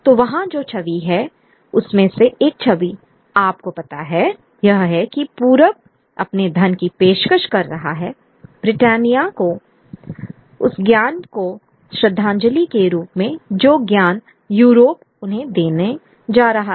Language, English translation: Hindi, So, the image that is there is an image of, you know, the East offering its riches to Britannia as a tribute to the enlightenment that Europe is going to bring to them